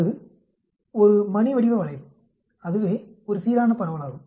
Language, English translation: Tamil, That is a bell shaped curve that is a uniform distribution